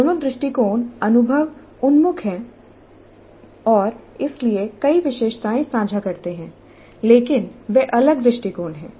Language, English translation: Hindi, Both approaches are experience oriented and hence share several features but they are distinct approaches